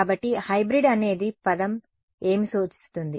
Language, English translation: Telugu, So, what does a word hybrid imply